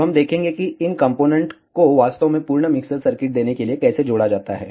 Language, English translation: Hindi, Now, we will see how these components are actually added to give a complete mixer circuit